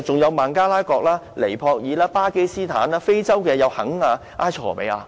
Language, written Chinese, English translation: Cantonese, 有孟加拉、尼泊爾、巴基斯坦，以及非洲的肯亞和埃塞俄比亞。, There are Bangladesh Nepal Pakistan as well as Kenya and Ethiopia in Africa